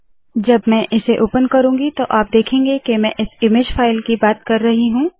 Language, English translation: Hindi, When I open it you can see that this is the image file that I am talkin about